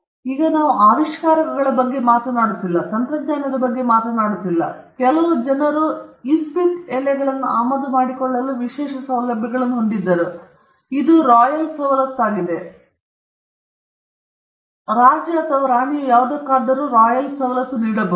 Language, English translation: Kannada, Now, at that point, we were not even talking about inventions, we were not even talking about technologies, some people had these exclusive privileges to import playing cards, and it was a royal privilege, the King or the Queen could give a royal privilege for any thing